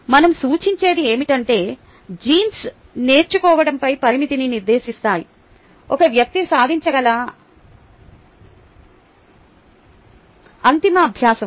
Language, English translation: Telugu, what we are implying is that genes do set a limit on learning, ultimate learning that a person can achieve